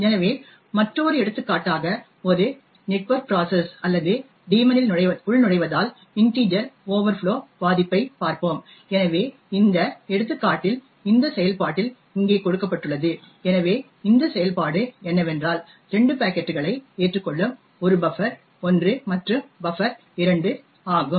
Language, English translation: Tamil, So let us look at another example of the integer overflow vulnerability due to sign in a network process or daemon, so an example of this is given in this function over here so what this function does is that it accepts 2 packets 1 is buffer1 and buffer2